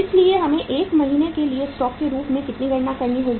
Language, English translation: Hindi, So we will have to calculate it as a stock for 1 month